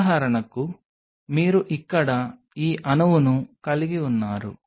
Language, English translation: Telugu, For example, you have this molecule out here